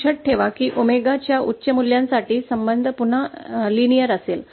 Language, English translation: Marathi, Note that as I said, for high values of omega, the relationship will again be linear